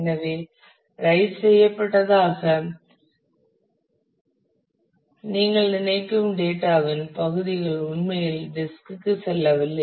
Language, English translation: Tamil, So, parts of the data which you think have been written actually have not gone to the disk